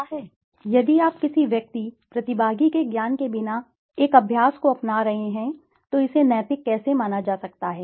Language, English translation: Hindi, Well I would still say no because if you are adopting a practice without the knowledge of the person, the participant, then how can it be judged ethical